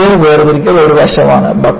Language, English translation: Malayalam, Material separation is one of the aspects